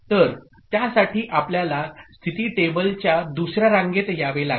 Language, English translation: Marathi, So for that we have to come to the second row of the state table